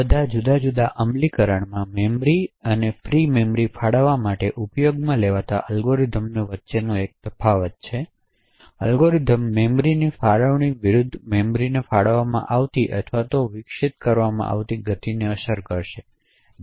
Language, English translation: Gujarati, In all of these different malloc implementation there is a subtle difference between the algorithm used to allocate memory and free memory as well, so essentially the algorithms will affect the speed at which memory is allocated or deallocated versus the fragmentation of the memory